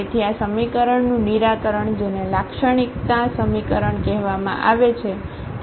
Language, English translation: Gujarati, So, the solution of this equation which is called the characteristic equation